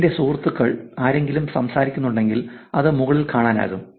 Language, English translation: Malayalam, If any of my friends are talking, it could show up on top